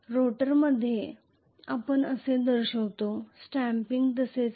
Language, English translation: Marathi, In the rotor we show like this, this is how the stampings are